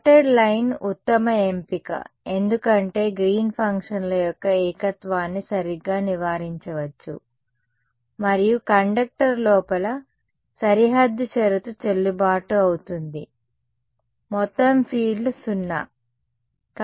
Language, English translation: Telugu, Dotted line is a better choice because singularity of green functions can be avoided right, and the boundary condition is valid inside the conductor also field total field is 0 right